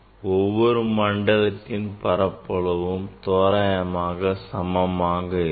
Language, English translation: Tamil, we have seen the area of each zone is approximately same